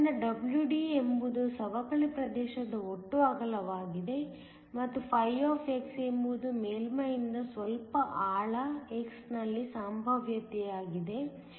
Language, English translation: Kannada, So, WD is the total width of the depletion region and φ is the potential at some depth x from the surface